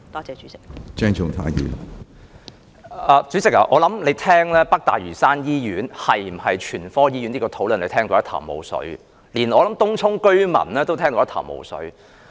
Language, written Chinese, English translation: Cantonese, 主席，你聆聽這項"北大嶼山醫院是否全科醫院"的討論時，諒必一頭霧水，而我亦相信連東涌居民亦一頭霧水。, President you must be confused as you listen to this discussion on whether NLH is a general hospital . And I also believe even Tung Chung residents are likewise confused